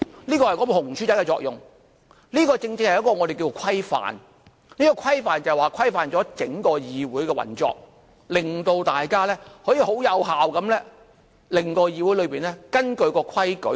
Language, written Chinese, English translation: Cantonese, 這是"紅書仔"的作用，這正正是我們說的規範，規範了整個議會的運作，令大家可以很有效地使議會根據規矩辦事。, This is the function of this little red book . This is exactly the standard that we are talking about . It standardizes the operation of the whole legislature so that everyone can deal with our business in accordance with these rules